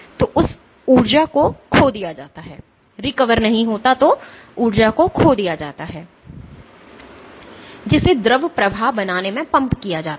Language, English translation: Hindi, So, that is lost that energy which is pumped into making the fluid flow is lost